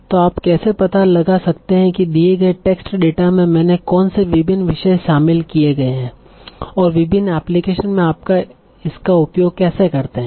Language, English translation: Hindi, So how do we find out what are the various topics that are covered in a given text data and how do I make use of this in various applications